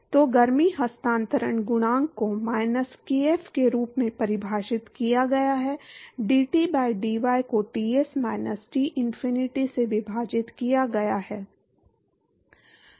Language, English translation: Hindi, So, heat transfer coefficient is defined as minus kf, dT by dy divided by Ts minus Tinfinity